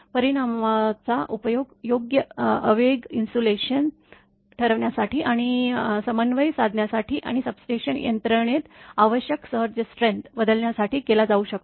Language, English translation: Marathi, The result may be used to determine, the determine and coordinate proper impulse insulation and switching surge strength required in substation apparatus